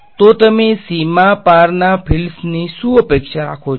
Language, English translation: Gujarati, So, what do you expect of the fields across the boundary